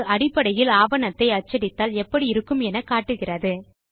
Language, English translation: Tamil, It basically shows how your document will look like when it is printed